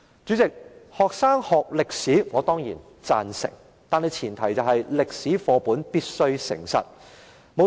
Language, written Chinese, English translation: Cantonese, 主席，我當然贊成學生要學習歷史，但前提是歷史課本必須誠實。, President I certainly agree that students should study history but the premise is that history textbooks must tell the truth